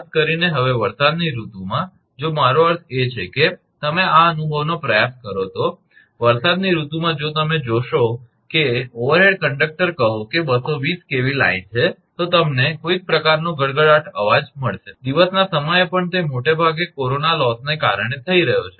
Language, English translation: Gujarati, Particularly, now in rainy season if you I mean you can if you try to experience this, in rainy season if you see that overhead conductor say 220 kV line, you will find some kind of chattering noise, even in the daytime also that is that is mostly happening due to corona loss